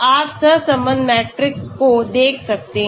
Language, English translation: Hindi, You can look at correlation matrix